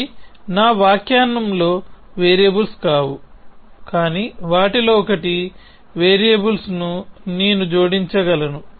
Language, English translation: Telugu, They are no variables in my sentence, but I can add variables 1 of them could be